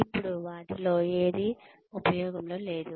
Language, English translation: Telugu, Now, none of that, is in use anymore